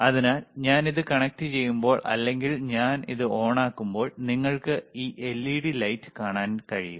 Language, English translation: Malayalam, So, when I connect it, and I switch it on, you will be able to see this LED lighte light here, right this led right